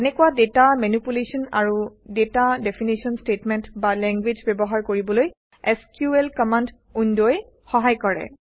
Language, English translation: Assamese, And the SQL command window helps us to use such data manipulation and data definition statements or language